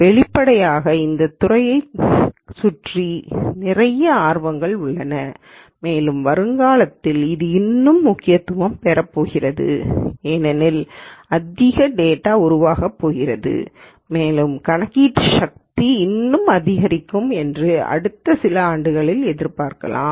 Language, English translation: Tamil, Obviously, there is a lot of interest this lot of buzz around this field and it is only going to get even more important as we go along because more data is going to be generated and one would expect the computational power to increase even more for the next few years